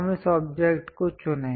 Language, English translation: Hindi, Let us pick this object